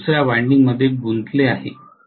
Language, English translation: Marathi, It is inducing in another winding